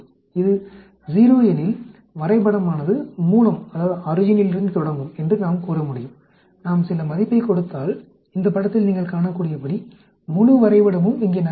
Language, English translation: Tamil, If it is 0, we can say the graph will start from the origin, if we give some value the whole graph gets shifted here as you can see in this picture